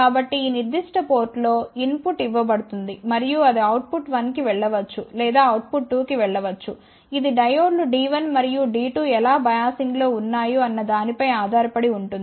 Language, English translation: Telugu, So, input is given at this particular port and it may go to output 1 or it may go to output 2 depending upon how diodes D 1 and D 2 are biased